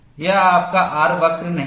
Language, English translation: Hindi, This is not your R curve